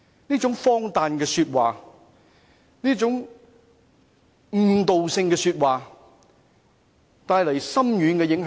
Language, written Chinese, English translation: Cantonese, 這種荒誕的說話，這種誤導人的言論對本港的教育帶來深遠影響。, Such ridiculous and misleading remarks will have far - reaching impact on Hong Kongs education system